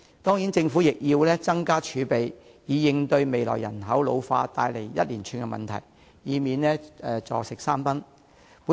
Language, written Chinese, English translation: Cantonese, 當然，政府亦要增加儲備，以應對未來人口老化帶來的一連串問題，以免出現"坐食山崩"的情況。, Certainly the Government has to increase its reserves to cope with a spate of problems to be brought about by the ageing population in the future to avoid using up our chattels